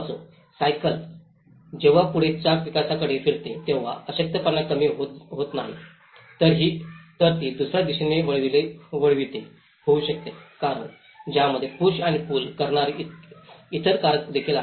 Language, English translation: Marathi, Well bicycle, when the front wheel rotates to the development not necessarily the vulnerability is reduced, it may turn in the other direction too, because there are other factors which are the push and pull factors to it